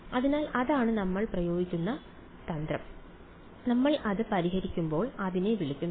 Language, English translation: Malayalam, So, that is the strategy that we will use and when we solve it like that its called the